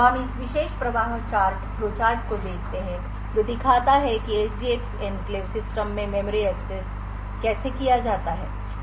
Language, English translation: Hindi, So, we look at this particular flow chart which shows how memory accesses are done in an SGX enclave system